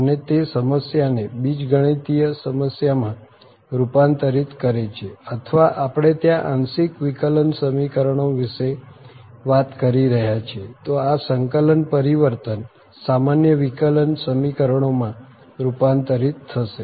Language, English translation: Gujarati, And it converts the problem to a simple problem either algebraic problem or we are talking about the partial differential equations there then this integral transform will convert to the ordinary differential equations